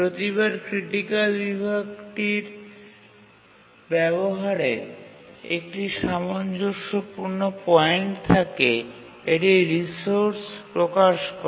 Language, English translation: Bengali, Each time there is a consistent point in its uses of critical section, it just releases the resource